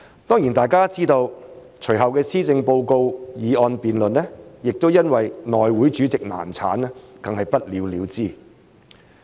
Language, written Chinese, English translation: Cantonese, 當然大家都知道，隨後的施政報告議案辯論，亦因為內務委員會主席選舉難產而不了了之。, In addition as we all certainly know the subsequent motion of thanks debate on the policy address fell through as a result of the repeated failures to elect the Chairman of the House Committee